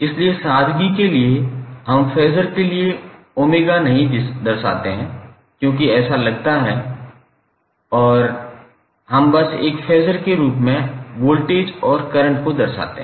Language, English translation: Hindi, So, for simplicity what we say, we do not represent omega for the phaser because that is seems to be understood and we simply represent voltage and current as a phaser